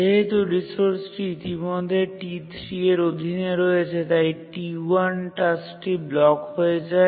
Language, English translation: Bengali, And since the resource is already held by T3, the task T1 gets blocked